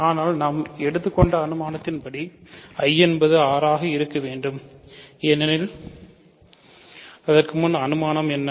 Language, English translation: Tamil, But by the hypothesis I must be R because what is the hypothesis